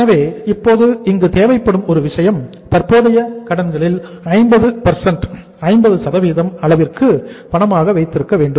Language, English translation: Tamil, So now one thing which was required here is cash to be held to the extent of 50% of the current liabilities